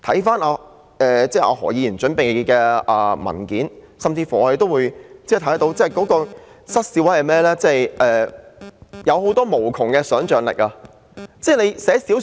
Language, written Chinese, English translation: Cantonese, 翻看何議員準備的文件，實在令人失笑，因為當中有無窮的想象力。, When I read the paper prepared by Dr HO I cannot help laughing because it is laced with boundless imagination